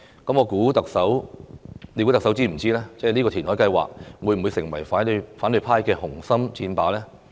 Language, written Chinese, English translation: Cantonese, 難道特首不知道這個填海計劃會成為反對派的紅心箭靶嗎？, Was the Chief Executive unaware that the reclamation plan would become the target of attacks by the opposition camp?